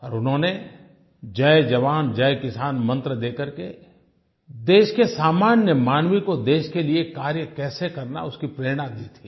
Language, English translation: Hindi, He gave the mantra"Jai Jawan, Jai Kisan" which inspired the common people of the country to work for the nation